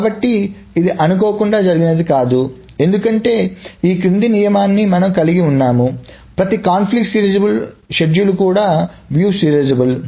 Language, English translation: Telugu, So this is not by accident as it happens that we can, we have this following rule is that every conflict serializable schedule is also view serializable